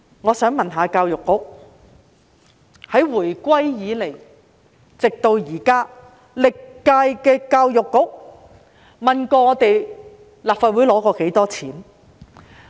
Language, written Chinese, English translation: Cantonese, 我想問教育局，自回歸至今，歷屆教育局得到立法會多少撥款？, May I ask the Education Bureau of the amount of provision it has received from the Legislative Council since the reunification?